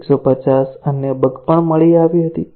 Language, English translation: Gujarati, 150 other bugs were also detected